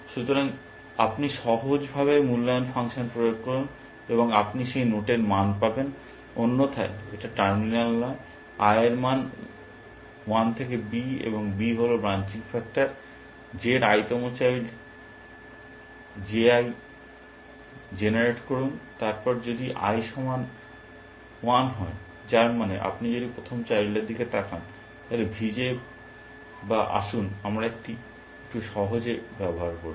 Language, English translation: Bengali, So, you simply apply the evaluation function, and you get the value for that note, else it is not terminal for i is equal to 1 to b, where b is the branching factor, generate the J i the i th child of J, then if i equal to 1, which means if you are looking at the first child, then V J or let we uses slightly simpler is this